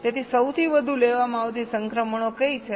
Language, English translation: Gujarati, so which are most commonly taken, transitions